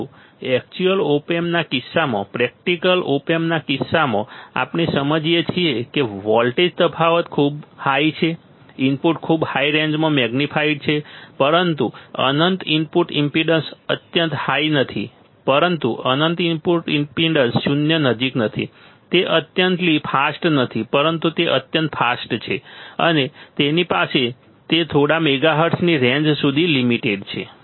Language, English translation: Gujarati, But in case of actual op amp, in case of practical op amp, what we understand is the voltage difference is very high the input is magnified at a very high range, but not infinite input impedance is extremely high, but not infinite output impedance is close to zero, but not zero, the it is not infinitely fast, but it is extremely fast, and it has it is limited to few megahertz range right